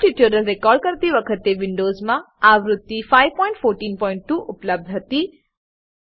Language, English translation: Gujarati, At the time of recording the Perl tutorials, version 5.14.2 was available in Windows